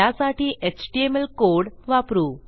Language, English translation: Marathi, For the html we need to create a form